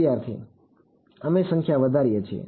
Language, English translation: Gujarati, We increase a number of